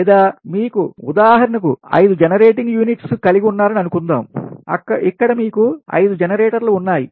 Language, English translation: Telugu, or suppose you have, suppose you have, for example, here you have five generating units